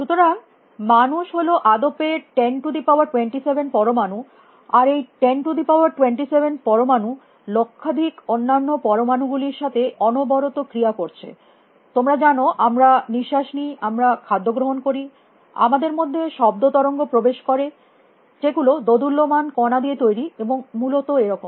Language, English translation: Bengali, So, human beings is about 10 raise to 27 atoms, and these 10 raise to 27 atoms are continuously interacting with zillions of other atoms out there; you know we breathe, we eat, we have sound wave impinging upon us which are also made up of oscillating particles and so on and so forth essentially